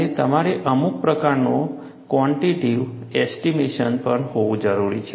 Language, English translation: Gujarati, And you also need to have, some kind of a quantitative estimation